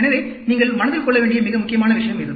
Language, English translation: Tamil, So, this is a very important point you need to keep in mind